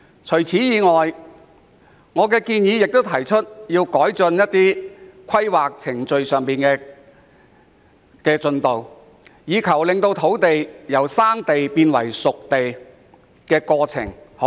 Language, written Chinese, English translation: Cantonese, 此外，我亦在議案中建議政府加快土地規劃程序，從而縮短土地由"生地"變成"熟地"的過程。, In addition I have also proposed in the motion that the Government should expedite the land planning procedures thereby shortening the process of transforming a piece of primitive land into a spade - ready site